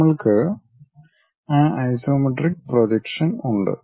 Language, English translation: Malayalam, This is the way isometric view we can construct it